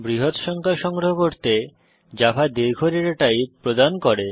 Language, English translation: Bengali, To store large numbers, Java provides the long data type